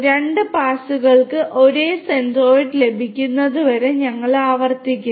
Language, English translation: Malayalam, We repeat until for two passes we get the same centroid